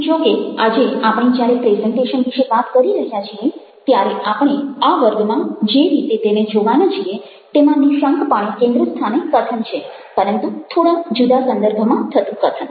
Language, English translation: Gujarati, however, ah when we talking about presentation ah the way we are looking at it today, in these sessions, the focus is on speaking, undoubtedly, but speaking in a slightly different context